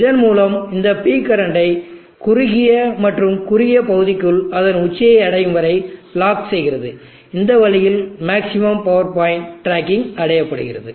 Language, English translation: Tamil, And thereby locks this P current within the narrow and narrow region till it reaches the top in this way maximum power point tracking is achieved